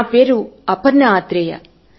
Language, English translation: Telugu, I am Aparna Athare